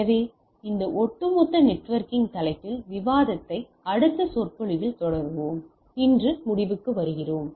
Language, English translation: Tamil, So, we will continue our discussion on this overall networking topic in our subsequent lecture, let us conclude today